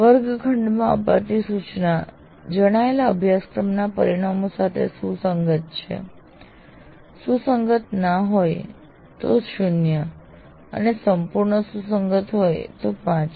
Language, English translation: Gujarati, So the classroom instruction is in alignment with the stated course outcomes, not alignment at all, zero, complete alignment is five